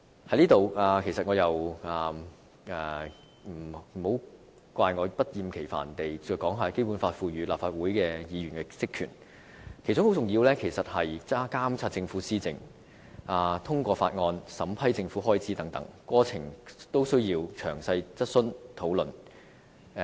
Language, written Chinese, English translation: Cantonese, 就此，請不要怪我不厭其煩地引述《基本法》賦予立法會議員的職權，其中很重要的一點，是監察政府施政，通過法案和審批政府開支等，過程均須詳細質詢和討論。, In this respect please bear with me for reiterating the powers and functions of Members under the Basic Law . Among others the main duties of Members are to monitor the Governments work approve bills as well as examine and approve Government expenditure . In the process Members have to raise questions and carry out discussion in detail